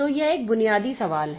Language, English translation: Hindi, So, this is a basic question